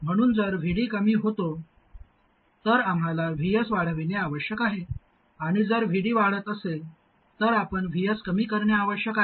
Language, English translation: Marathi, So if VD reduces we, we must increase VS, and if VD increases, we must reduce VS